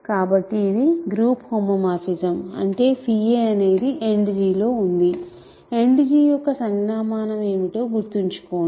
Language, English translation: Telugu, So, these are this is why it is a group homomorphism; that means, phi a is in End G, remember what is our notation for End G